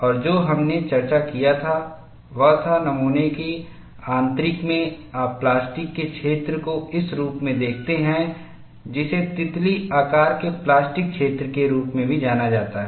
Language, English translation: Hindi, And what we had noted was, in the interior of the specimen, you see the plastic zone in this form, which is also referred as butterfly shape plastic zone